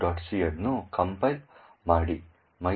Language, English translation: Kannada, c, create an object file mylib